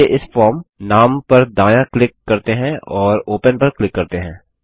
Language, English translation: Hindi, Let us right click on this form name and click on Open